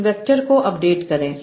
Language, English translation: Hindi, How do I update each word vectors